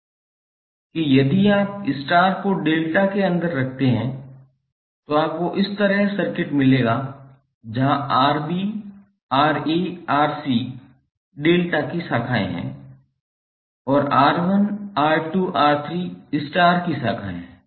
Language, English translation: Hindi, It means that if you put the star inside the delta you will get this kind of circuit where Rb, Ra, Rc are the branches of delta and R1, R2, R3 are the branches of star